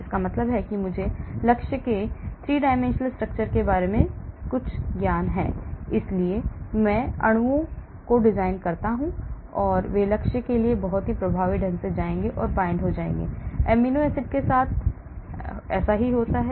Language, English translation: Hindi, That means I have some knowledge about the 3 dimensional structure of the target, so I design molecules so that they go and bind very effectively into the target, forms good interactions with amino acids present and so on